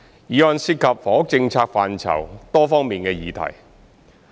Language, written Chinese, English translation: Cantonese, 議案涉及房屋政策範疇多方面的議題。, The motion concerns various issues in the housing policy area